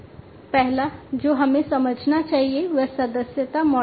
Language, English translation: Hindi, The first one that we should understand is the subscription model